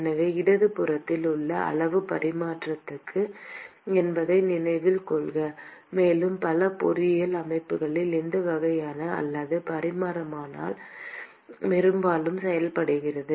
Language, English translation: Tamil, So, note that the quantity on the left hand side is non dimensional; and this kind of non dimensionalization is often done in many engineering systems